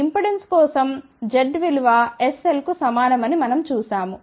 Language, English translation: Telugu, Why we had seen that for the impedance z is equal to SL